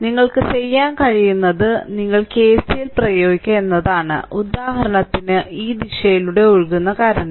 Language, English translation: Malayalam, Therefore, let me let me clear it therefore, what you can do is you apply KCL for example, current flowing through this say in this direction